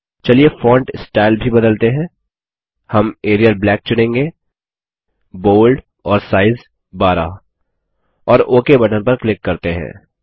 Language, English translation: Hindi, Let us also change the font style we will choose Arial Black, Bold and Size 12 and click on the Ok button